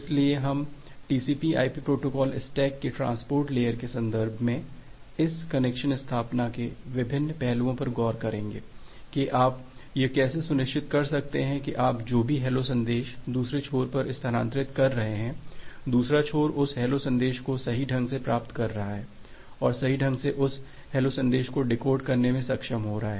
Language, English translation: Hindi, So, we will look into the different aspects of this connection establishment, in the context of transport layer of the TCP/IP protocol stack, that how you can ensure that whatever hello message you are transferring to the other end, the other end is correctly receiving that hello message and correctly being able to decode that hello message